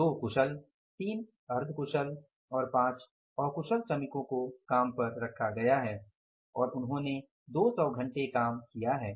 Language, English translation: Hindi, 2 skilled, 3 is the unskilled workers are put on the job and they have worked for 200 hours